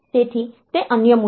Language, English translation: Gujarati, So, that is the other issue